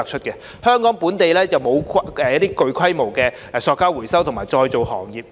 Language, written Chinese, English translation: Cantonese, 香港本地並無具規模的廢塑膠回收及再造行業。, There is no sizable local waste plastic recovery and recycling industry in Hong Kong